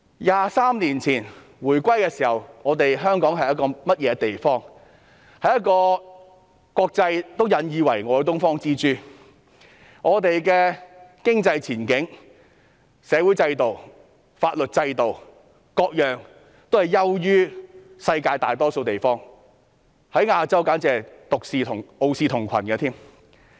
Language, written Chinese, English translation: Cantonese, 那時香港是一個國際間引以為傲的"東方之珠"，我們的經濟前景、社會制度、法律制度等各方面也優於世界大多數的地方，在亞洲簡直傲視同群。, Back then Hong Kong made its name in the world as the Pearl of the Orient . Our economic prospects social systems and legal systems outshone most of the places around the world and are the best in Asia